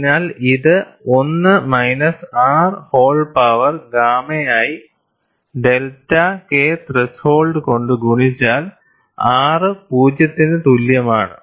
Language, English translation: Malayalam, So, this is given as1 minus R whole power gamma multiplied by delta K threshold, when R equal to 0